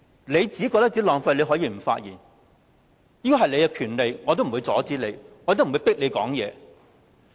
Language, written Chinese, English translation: Cantonese, 你覺得浪費時間可以不發言，這是你的權利，我不會阻止你，亦不會迫你發言。, He can choose not to speak so as not to waste time and it is his right . I will not stop him from doing so or force him to speak